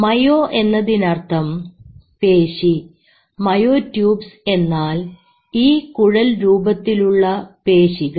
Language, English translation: Malayalam, Mayo means muscle and tubes and tubes means tubes of muscle